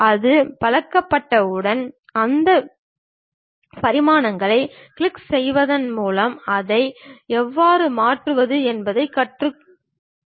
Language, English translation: Tamil, Once we are acclimatized we will learn how to change those dimensions by clicking it and change that